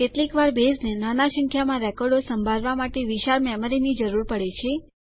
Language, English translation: Gujarati, Sometimes, Base requires a huge memory to hold comparatively small number of records